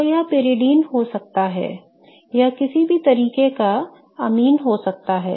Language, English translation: Hindi, So, this could be pyridine, this could be any kind of amine